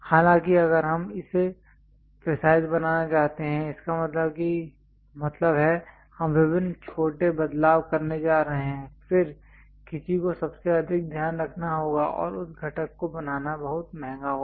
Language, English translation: Hindi, However, if you want to really make it precise; that means, you are going to make various small variation, then one has to be at most care and to make that component it will be very costly